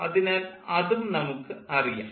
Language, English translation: Malayalam, so that is also known